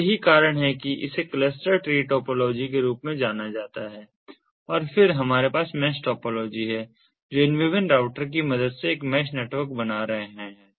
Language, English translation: Hindi, so this is why this is known as the cluster tree topology and then we have the mesh topology, which is forming a mesh network with the help of these different routers, these different routers